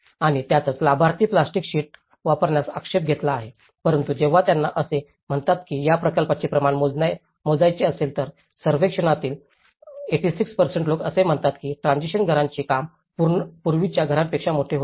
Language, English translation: Marathi, And that is where the beneficiaries have objected to use the plastic sheeting but when they want to scale up this project that is where they say that 86% of the survey, they have said that the transition shelters were larger than the previous houses